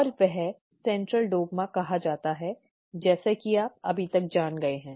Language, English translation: Hindi, And that is actually called the Central Dogma, as you already know by now